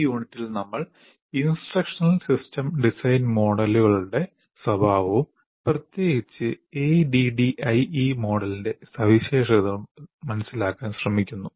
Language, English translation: Malayalam, Now in this unit, we try to understand the nature of instructional system design models and particularly features of ADI model